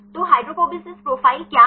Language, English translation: Hindi, So, what is hydrophobicity profile